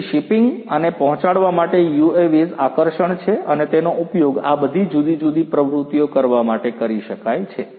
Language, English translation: Gujarati, So, shipping and delivering UAVs are of you know attraction and they could be used for you know doing all of these different activities